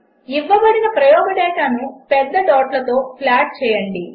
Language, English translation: Telugu, Plot the given experimental data with large dots